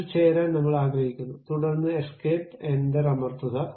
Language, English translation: Malayalam, I would like to join that, then escape, press enter